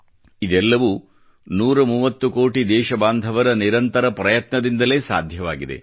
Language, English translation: Kannada, And all this has been possible due to the relentless efforts of a 130 crore countrymen